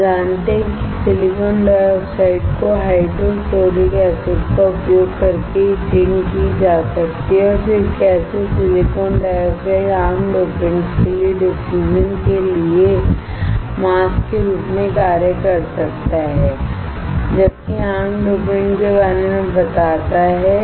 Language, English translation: Hindi, We know that the silicon dioxide can be etched using hydrofluoric acid and then how silicon dioxide can act as a mask for the diffusion for common dopants, while telling about the common dopants